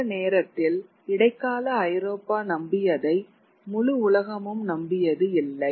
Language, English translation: Tamil, It is not that the entire world believed what Europe, medieval Europe believed at that point of time